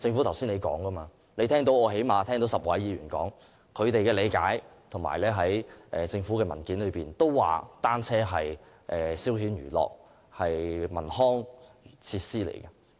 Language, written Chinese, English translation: Cantonese, 剛才政府當局已聽到最少10位議員表達他們的理解，而政府文件亦指出單車是消遣娛樂的文康設施。, The Administration has heard at least 10 Members talk about their understanding just now and it is also pointed out in government papers that bicycles are regarded as a cultural and recreational facility for leisure and entertainment